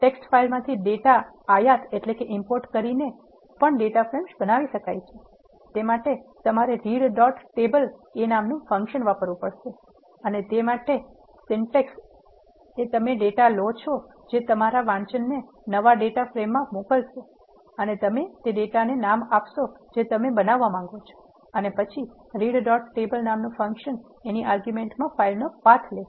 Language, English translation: Gujarati, Data frames can also be created by importing the data from text file to the way you have to do it is you have to use the function called read dot table and the syntax for that is you assign the data which your reading to a new data frame you have name that data from which you want to create and then read dot table takes in the argument the path of the file